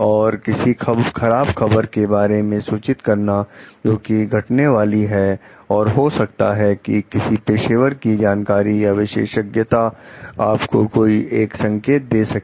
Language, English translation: Hindi, And to like report about some bad news that is going to happen, maybe something which a professional like knowledge, expertises given you like hint on